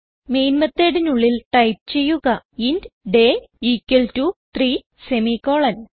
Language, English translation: Malayalam, So type inside the main method int day and we can give it a value equal to 3 semi colon